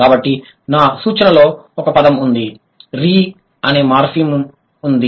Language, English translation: Telugu, So, my suggestion would be there is a morphem called re